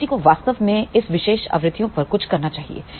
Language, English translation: Hindi, So, one should really do something at this particular frequencies